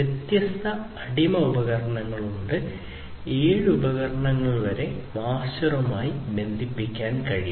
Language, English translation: Malayalam, So, this is the master, master device and there are different slave devices, up to 7 devices can be connected to the master